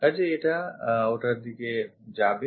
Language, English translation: Bengali, So, this goes to that one